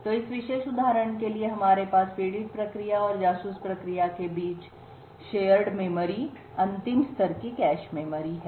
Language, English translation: Hindi, So in this particular example we have the last level cache memory shared between the victim process and the spy process